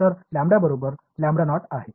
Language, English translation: Marathi, So, lambda is equal to lambda naught by